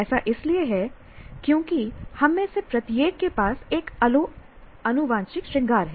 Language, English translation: Hindi, That is because right, we have first, each one of us have a different genetic makeup